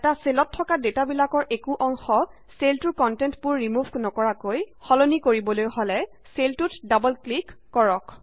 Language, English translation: Assamese, In order to change a part of the data in a cell, without removing all of the contents, just double click on the cell